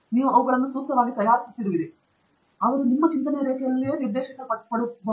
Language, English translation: Kannada, You are preparing them appropriately so that they are directed into your line of thought